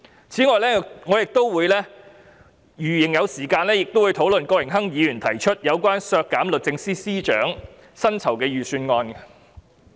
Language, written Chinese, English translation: Cantonese, 此外，如仍有時間，我亦會討論郭榮鏗議員提出有關削減律政司司長薪酬預算開支的修正案。, In addition if there is still time I will also speak on the amendment proposed by Mr Dennis KWOK to cut the estimated full - year expenditure on the salary of the Secretary for Justice